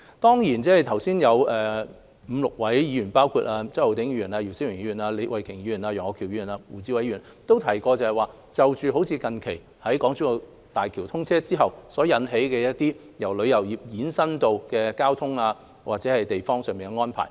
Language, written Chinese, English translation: Cantonese, 剛才有5位議員，包括周浩鼎議員、姚思榮議員、李慧琼議員、楊岳橋議員和胡志偉議員，都提到最近港珠澳大橋通車後，由旅遊業衍生的交通或地方上的安排。, Five Members including Mr Holden CHOW Mr YIU Si - wing Ms Starry LEE Mr Alvin YEUNG and Mr WU Chi - wai mentioned issues regarding transportation and arrangements concerning local districts generated by the travel industry after the commissioning of the Hong Kong - Zhuhai - Macao Bridge HZMB